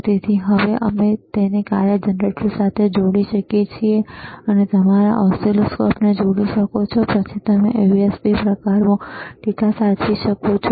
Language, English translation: Gujarati, So now we can we can connect it to the function generator, you can connect your oscilloscope, and then you can save the data in the USB type